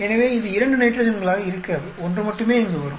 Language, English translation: Tamil, So, it will not be two nitrogens, only one will come here